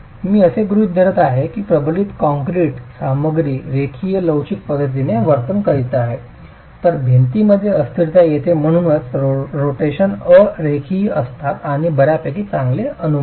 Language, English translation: Marathi, I am assuming that the reinforced concrete material is continuing to behave in a linear elastic manner, whereas the wall has inelasticity coming in, and so the rotations are non linear, and that's a fairly good assumption